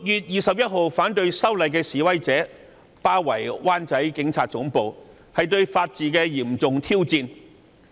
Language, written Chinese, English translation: Cantonese, 然而，反對修例的示威者於6月21日包圍灣仔警察總部，這是對法治的嚴重挑戰。, Unfortunately the Police Headquarters in Wan Chai was besieged by protesters against the Bill on 21 June